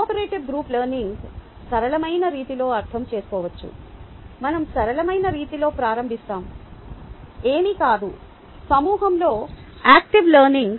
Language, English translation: Telugu, cooperative group learning can be understood in a simplistic way, will start out in a simplistic way as nothing but active learning in a group